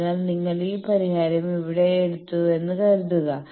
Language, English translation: Malayalam, So, suppose you have taken this solution here